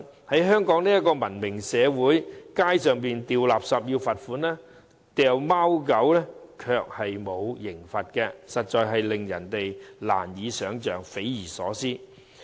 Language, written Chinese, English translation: Cantonese, 在香港這個文明社會，隨處拋棄垃圾要罰款，遺棄貓狗卻不用受罰，實在令人匪夷所思。, In a civilized society like Hong Kong one is fined for littering but not punished for abandoning dogs and cats . This is really baffling